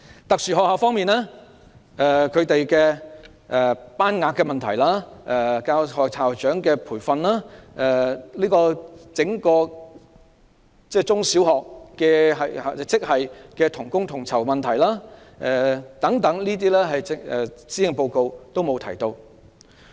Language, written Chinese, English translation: Cantonese, 特殊學校方面，這些學校要面對班額、教師和校長的培訓、中小學職系同工同酬等問題，施政報告都沒有提及。, Regarding special schools they have to deal with issues such as the class limit the training of teachers and headmasters the issue of equal pay for equal work among primary and secondary education grades . The Policy Address has touched on none of these issues